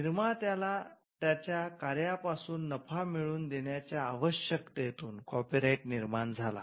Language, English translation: Marathi, Copyright came out of the necessity for creators to profit from their work